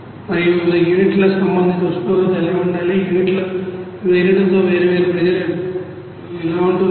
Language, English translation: Telugu, And what should be the respective temperature of different units what will be different pressure at different units